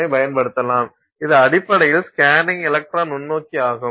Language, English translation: Tamil, Which is basically your scanning electron microscope